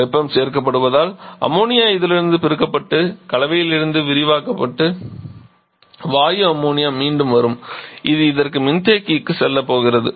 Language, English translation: Tamil, And as heat is being added then ammonia will get separated from this will get liberated from the mixture and the gaseous Ammonia will be will come back and that is going to go back to the condenser for this